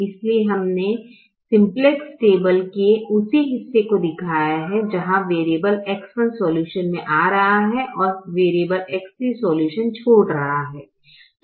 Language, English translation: Hindi, so i have shown the same part of the simplex table with variable x one coming into the solution and variable x three leaving the solution